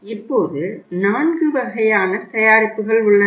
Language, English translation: Tamil, Now we have the four kind of the products here